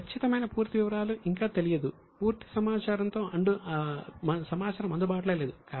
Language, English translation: Telugu, A few of the details are not yet known, information is not available